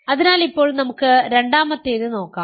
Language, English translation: Malayalam, So, now, let us look at the second one